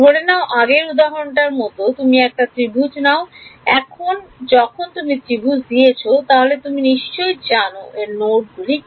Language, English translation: Bengali, Supposing like in the previous example you give a triangle now once you given triangle you need to know which are the nodes in it